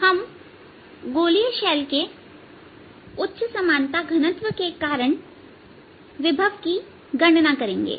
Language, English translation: Hindi, will calculate the potential due to a high symmetric density for spherical shell